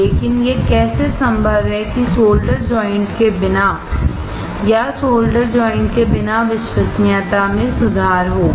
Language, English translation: Hindi, But how is it possible that without having solder joints or not having solder joints will improve reliability